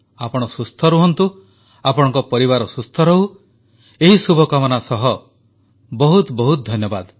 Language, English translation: Odia, You stay healthy, your family stays healthy, with these wishes, I thank you all